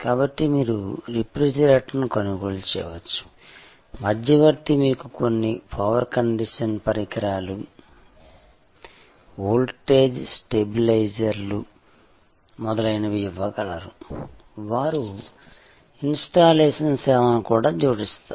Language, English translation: Telugu, So, you could buy the refrigerator, the intermediary could give you some power conditioning equipment, voltage stabilisers and so on, they would also add installation service etc